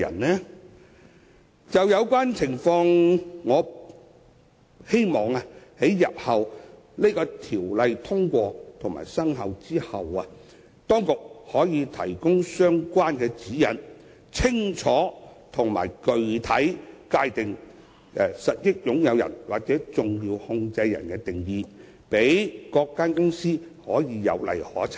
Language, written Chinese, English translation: Cantonese, 關於這種情況，我希望日後在《條例草案》獲得通過後，當局可提供相關的指引，清楚及具體地界定實益擁有人或重要控制人的定義，讓各公司有例可循。, In respect of this I hope that after the Bill is enacted the authorities will provide guidelines stipulating clearly the definition of a beneficial owner or a significant controller for compliance by companies